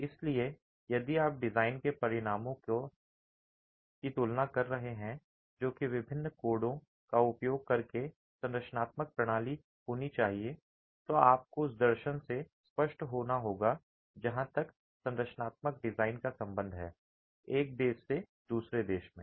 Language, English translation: Hindi, So, if you're comparing the outcomes of the design, which would be the structural system, using different codes, you have to be clear of the philosophy that is adopted as far as the structural design is concerned from one country to another